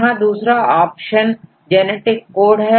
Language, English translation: Hindi, Then another option is the genetic code